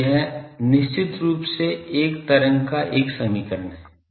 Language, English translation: Hindi, So, this is definitely an equation of a wave